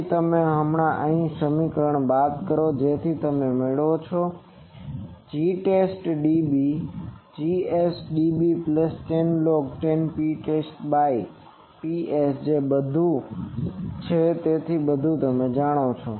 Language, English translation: Gujarati, So, you just subtract this equation what you get is G test dB is Gs dB plus 10 log 10 P test by Ps that is all so know everything